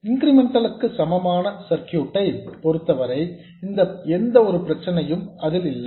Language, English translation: Tamil, As far as the incremental equivalent circuit is concerned, there is no problem at all